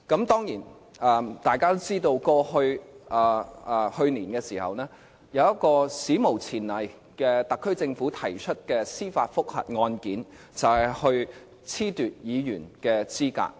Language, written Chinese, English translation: Cantonese, 當然，大家都知道，去年有一宗史無前例，由特區政府提出的司法覆核案件，就是褫奪議員的資格。, As we all know in an unprecedented move the SAR Government filed a judicial review to disqualify some Members last year